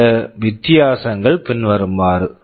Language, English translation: Tamil, Some of the differences are as follows